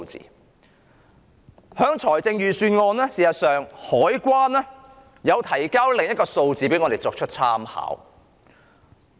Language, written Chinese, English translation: Cantonese, 在財政預算案中，香港海關提供了另一些數字給我們作參考。, In the Budget the Customs and Excise Department CED has provided other figures for our reference